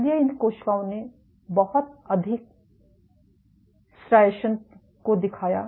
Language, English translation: Hindi, So, these cells exhibited lot more striations